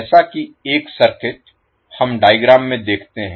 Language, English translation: Hindi, Let us see there is one circuit as we see in the figure